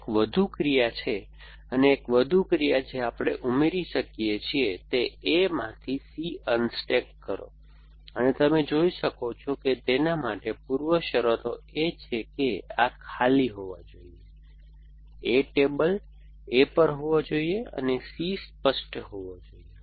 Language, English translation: Gujarati, That is one more action and one more action we can add is unstack C from A and you can see that the preconditions for that is that arm must be empty, that A must be on the table A and C must be clear